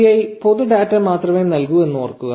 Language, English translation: Malayalam, Remember that the API only returns public data